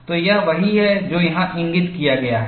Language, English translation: Hindi, So, that is what is shown here